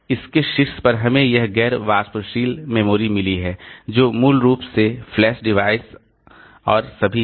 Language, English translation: Hindi, On top of that we have got this non volatile memories, basically the flash devices and all